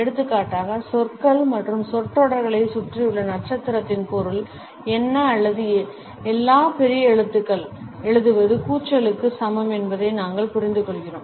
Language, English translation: Tamil, For example, we understand, what is the meaning of asterisk around words and phrases or for that matter writing in all caps is equivalent to shouting